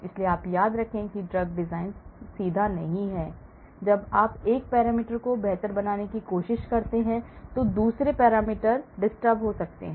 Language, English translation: Hindi, so remember that drug discovery or sorry, drug design is not straightforward when you try to improve a parameter, other parameter can get to disturbed